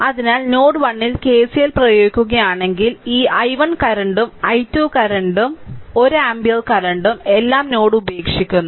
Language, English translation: Malayalam, So, if you apply KCL at node 1, look this i o[ne] this ah i 1 current and i 2 current and one ampere current all are leaving this node